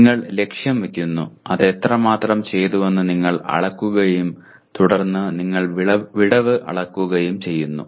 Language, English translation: Malayalam, You set the target, you measure to what extent it has been done and then you are measuring the gap